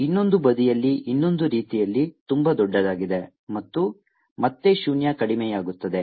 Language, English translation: Kannada, the other way, on the other side, very large and elimination, again zero